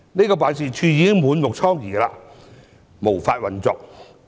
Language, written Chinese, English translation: Cantonese, 該辦事處已經滿目瘡痍，無法運作。, The office has already been destroyed and can no longer operate